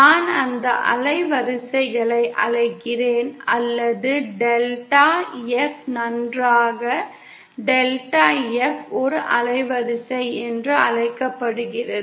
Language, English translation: Tamil, I call that range of frequencies or say I say, delta F well that delta F is called a band width